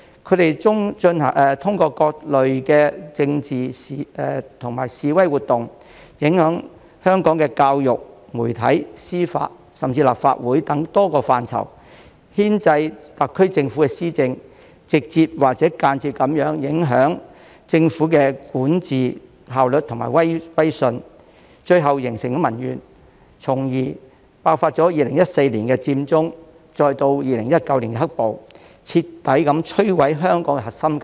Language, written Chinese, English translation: Cantonese, 他們通過各類的政治及示威活動，影響香港的教育、媒體、司法，甚至立法會等多個範疇，牽制特區政府施政，直接或間接地影響政府的管治效率和威信，最後形成民怨，從而爆發2014年佔中，再到2019年"黑暴"，徹底摧毀香港核心價值。, Through various political and protest activities they have influenced a number of sectors of Hong Kong including education media judiciary and even the Legislative Council and have hindered the administration of the SAR Government directly or indirectly affecting the efficiency of governance and credibility of the Government . This has eventually given rise to public grievances which led to the outbreak of the Occupy Central movement in 2014 and the black - clad violence in 2019 completely destroying Hong Kongs core values